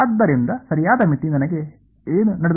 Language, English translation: Kannada, So, right limit is going to give me what